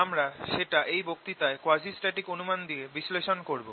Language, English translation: Bengali, we will analyze that in this lecture under quasistatic approximation